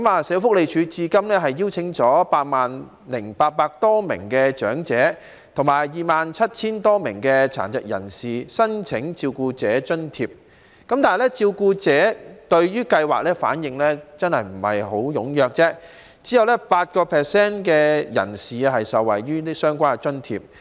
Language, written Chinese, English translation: Cantonese, 社會福利署至今邀請了 80,800 多名長者及 27,000 多名殘疾人士申請照顧者津貼，但照顧者對計劃的反應不太踴躍，只有 8% 的人士受惠於相關津貼。, So far the Social Welfare Department has invited more than 80 800 elderly people and more than 27 000 persons with disabilities to apply for the carer allowance but the response of carers to the scheme is not very enthusiastic and only 8 % of them have benefited from the allowance